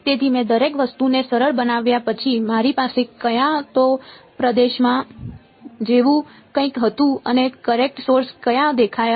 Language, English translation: Gujarati, So, after I simplified everything I had something like in either region and the where did the current source appear